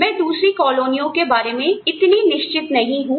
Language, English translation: Hindi, I am not too sure about other colonies